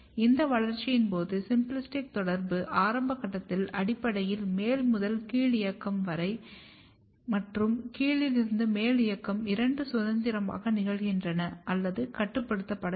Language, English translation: Tamil, Which suggests that during this developmental, the symplastic communication is regulated in a way that in the early stage basically top to bottom movement and bottom to top movement both are occurring probably freely or maybe not so regulated